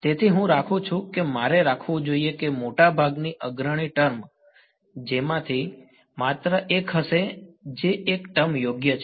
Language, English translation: Gujarati, So, I get to keep I should keep that most leading term will be just one of them which is the one term right